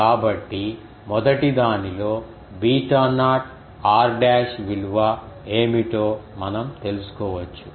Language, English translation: Telugu, So, we can find out what is the beta naught r dash value in the first